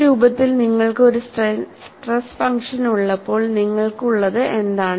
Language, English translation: Malayalam, And what you have when you have a stress function in this form